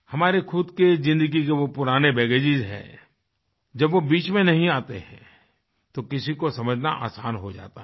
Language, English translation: Hindi, There are old baggage's of our own lives and when they do not come in the way, it becomes easier to understand others